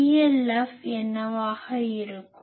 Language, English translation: Tamil, Then what will be PLF